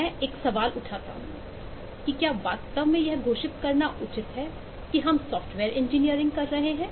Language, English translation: Hindi, I start by raising a question that: is it fair to really pronounce, proclaim that we are doing software engineering